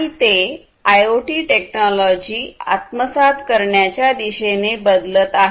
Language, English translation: Marathi, And they are transforming towards the adoption of IIoT technologies